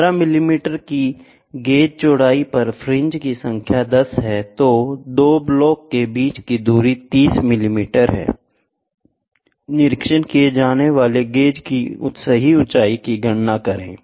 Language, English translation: Hindi, If the number of fringes on the gauge width is 15 of width of 15 millimeter is 10, the distance between the 2 blocks is 30 mm, calculate the true height of the gauge being inspected